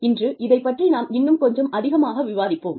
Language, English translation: Tamil, Today, we will discuss, a little bit more about this